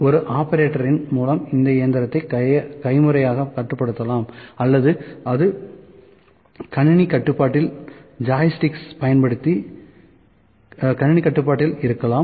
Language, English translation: Tamil, To this machine may be manually controlled by an operator or it may be computer control